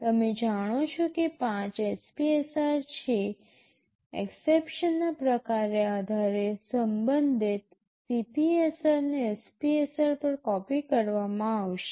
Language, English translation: Gujarati, You know there are 5 SPSRs depending on the type of exception CPSR will be copied to the corresponding SPSR